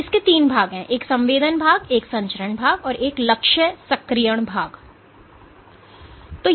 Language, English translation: Hindi, So, there are three parts of this one is the sensing part, one is the transmission part and the target activation part